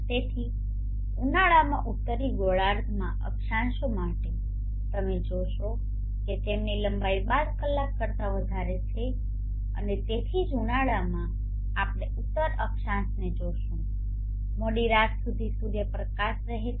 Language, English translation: Gujarati, So for latitudes in the northern hemisphere in summer you will see that they have the length of the day greater than to 12 hours and that is why in summer the northern latitudes we will see will have sunlight even late into the night